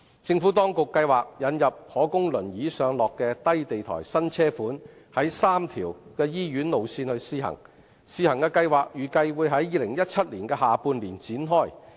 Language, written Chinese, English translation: Cantonese, 政府當局計劃引入可供輪椅上落的低地台新車款在3條醫院路線試行，試行計劃預計會於2017年下半年展開。, The Administration has planned to introduce new low - floor wheelchair - accessible vehicle models for trial run on three hospital routes and the trial scheme is expected to commence in the second half of 2017